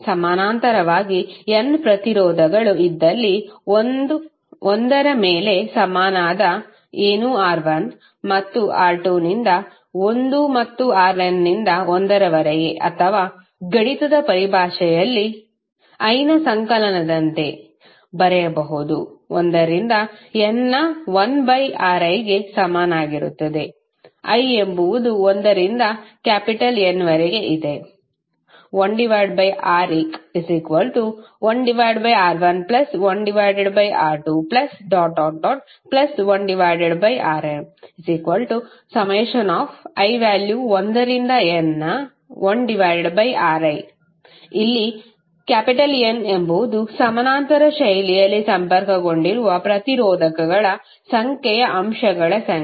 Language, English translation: Kannada, Suppose if there are n resistances in parallel then 1 upon R equivalent is nothing but 1 by R1 plus 1 by R2 and so on upto 1 by Rn or in mathematical terms you can write like summation of i is equal to 1 to N of 1 by Ri, i is ranging between 1 to N where N is number of elements that is number of resistors connected in parallel fashion